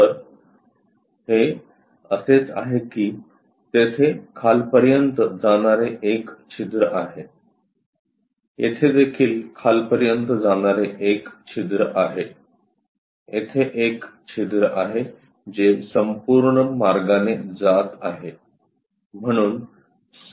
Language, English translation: Marathi, So, it is more like there is a hole passing all the way down, here also there is a hole all the way passing down, here also there is a hole which is passing all the way down